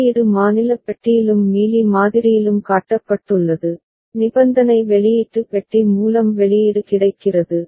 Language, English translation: Tamil, There the output is shown with in the state box and in Mealy model, output is available through conditional output box